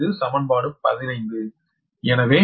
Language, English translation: Tamil, this is equation fifteen